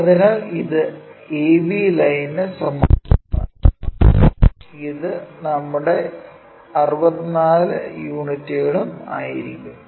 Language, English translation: Malayalam, So, this will be parallel to a b line and this will be our 64 units